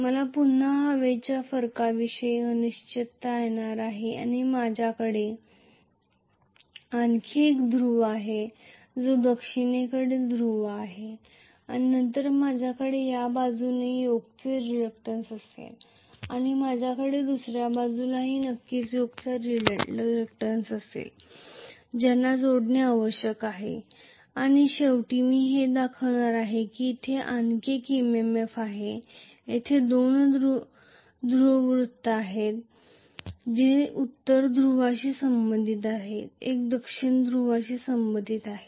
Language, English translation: Marathi, I am going to again have a reluctance of the air gap and I am going to have one more of the pole which is the south pole and then I will have reluctance of the yoke on this side and I will have definitely the reluctance of the yoke on the other side also I have to connect them together and then ultimately I am going to show as though there is one MMF here one more MMF here, there are two MMFs one corresponding to north pole, one corresponding to south pole